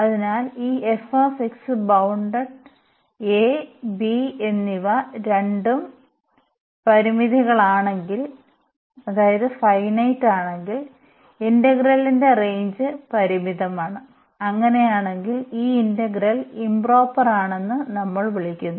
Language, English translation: Malayalam, So, if this f x is bounded and a and b both are finite so, the range of the integral is finite in that case we call that this integral is proper